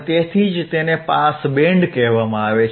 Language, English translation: Gujarati, That is why it is called pass band